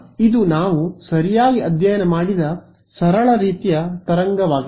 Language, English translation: Kannada, So, this is the simplest kind of wave that we have studied right